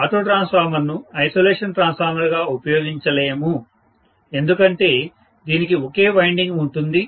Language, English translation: Telugu, Auto transformer cannot be used as an isolation transformer because it has only one winding